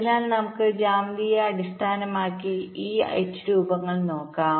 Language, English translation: Malayalam, so let us look at this h shapes in terms of the geometry